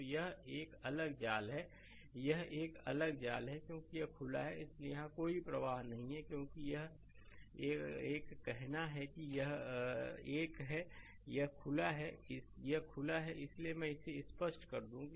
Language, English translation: Hindi, So, this is a separate mesh it is a separate mesh because this is open so, no current is flowing here, because it is a say it is a its a this is open this is open right; so, let me clear it